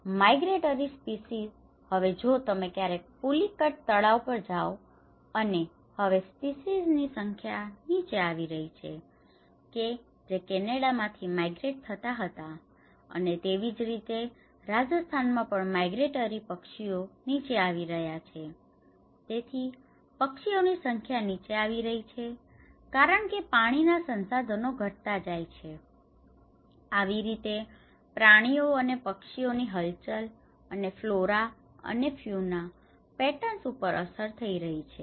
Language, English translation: Gujarati, So, the migratory species now, in fact if you ever go to Pulicat lake and now, the number of species have come down which are migrated from Canada and similarly, in Rajasthan the migratory birds which are coming down so, the number of birds are coming down so because the water resources are diminishing so, this is how the impact is also caused on the animals and the birds movements and flora and fauna patterns